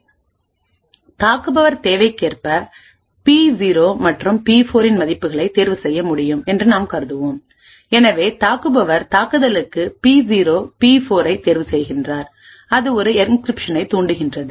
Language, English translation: Tamil, So, first of all we have the attacker over here and we will assume that the attacker is able to choose the values of P0 and P4 as required, so the attacker chooses P0, P4 for attack, triggers an encryption to occur